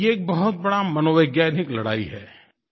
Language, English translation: Hindi, It is a huge psychological battle